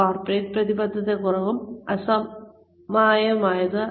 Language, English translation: Malayalam, Corporate commitment is lacking and uneven